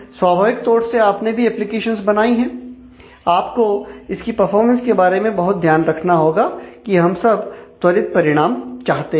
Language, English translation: Hindi, Naturally, as you designed applications and create that, you will have to be careful about it is performance because certainly we all want very fast results